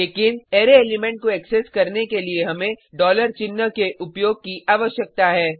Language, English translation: Hindi, But, to access an array element we need to use $ sign